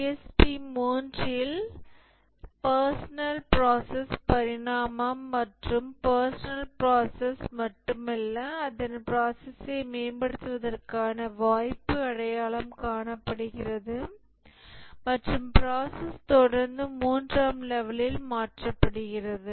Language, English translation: Tamil, And in the PSP 3, the personal process evolution, not only the personal process has been defined, but the opportunity to improve the process is identified and the process is continually changed at the level 3